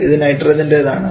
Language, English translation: Malayalam, This is nitrogen